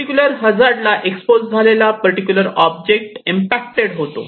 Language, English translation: Marathi, This particular object that is exposed to a particular hazard will be impacted